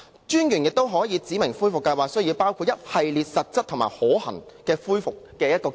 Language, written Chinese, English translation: Cantonese, 專員亦可指明恢復計劃需要包括一系列實質及可行的恢復方案。, MA may also specify that the recovery plan should include a series of substantial and feasible options